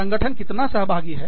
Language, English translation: Hindi, How involved, the organization is